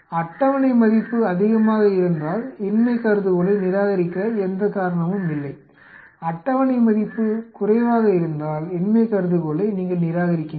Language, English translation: Tamil, If the table value is greater then there is no reason for reject the null hypothesis, if the table value is less then you reject the null hypothesis